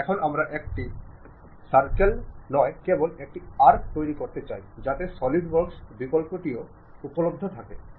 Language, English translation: Bengali, Now, we would like to construct only part of the arc, not complete circle, so that option also available at Solidworks